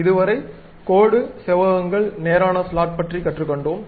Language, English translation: Tamil, Now, we have learned about line, rectangles, straight slots